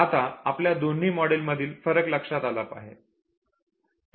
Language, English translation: Marathi, Now you have seen the difference between the two models